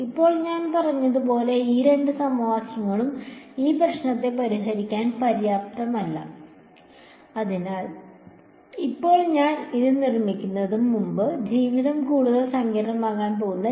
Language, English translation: Malayalam, Now, as I said these two equations are not sufficient to solve this problem, so, now I am going to seemingly make life more complicated before making it simple again right